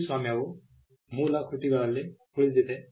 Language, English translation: Kannada, Copyright subsists in original works